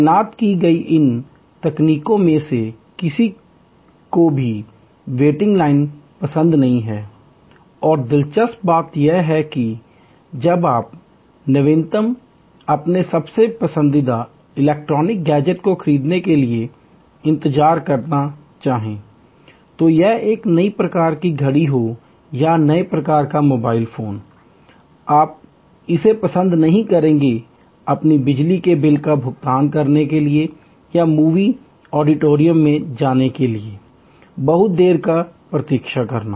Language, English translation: Hindi, Of these techniques that are deployed, nobody likes the waiting line and interestingly, while you might like to wait for buying the latest, your most favorite electronic gadget, be it a new type of watch or new type of mobile phone, you would not like in service to wait for too long for paying your electric bill or for getting in to the movie auditorium